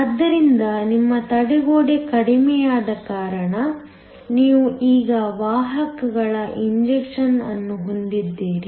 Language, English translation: Kannada, So because your barrier is reduced, you now have an injection of carriers